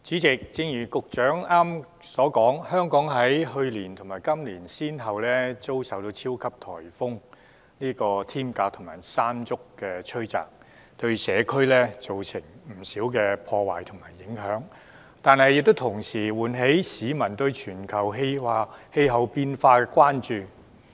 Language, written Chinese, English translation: Cantonese, 主席，正如局長剛才所說，香港在去年及今年先後遭受超級颱風"天鴿"及"山竹"吹襲，對社區造成不少破壞及影響，但同時亦喚起市民對全球氣候變化的關注。, President as the Secretary mentioned just now while the successive onslaughts of super typhoons Hato and Mangkhut on Hong Kong last year and this year have resulted in a lot of damage and affected the community they have also aroused public concerns over global climate change